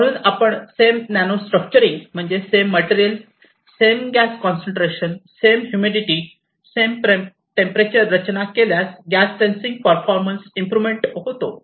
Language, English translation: Marathi, So, once you do this kind of nano structuring the same material, same gas concentration, same humidity, same temperature, but you get dramatically improved gas sensing performance